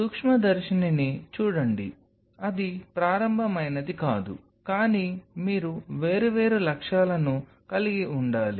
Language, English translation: Telugu, see microscope that is not an initial, but you have to have different objectives